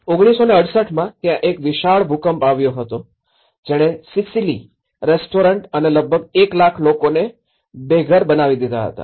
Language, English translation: Gujarati, In 1968, there has been a vast earthquake which has destroyed the restaurant Sicily almost leaving 1 lakh people homeless